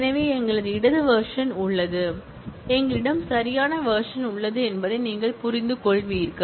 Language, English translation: Tamil, So, you will understand that since, we have a left version and we have a right version